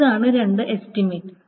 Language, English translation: Malayalam, So these are two estimates